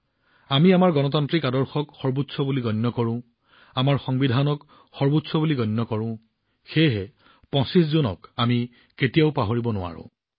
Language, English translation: Assamese, We consider our democratic ideals as paramount, we consider our Constitution as Supreme… therefore, we can never forget June the 25th